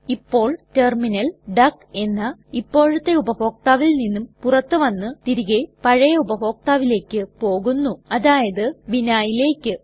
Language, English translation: Malayalam, Now the terminal logs out from the current user duck and comes back to the previous user account, which is vinhai in our case